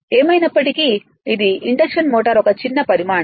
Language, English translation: Telugu, But anyways this is induction motor is a smaller size